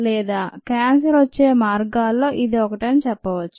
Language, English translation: Telugu, and thats one of the ways cancer happens